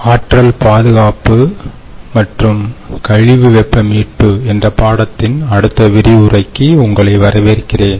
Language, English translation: Tamil, welcome back, friends, to the next lecture of energy conservation and waste heat recovery